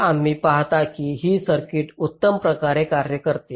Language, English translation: Marathi, so you see, this circuit works perfectly well